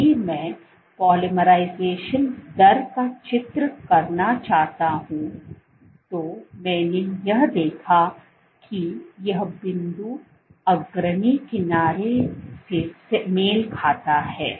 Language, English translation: Hindi, So, if I want to draw the polymerization rate, so, what I find is, this point corresponds to the leading edge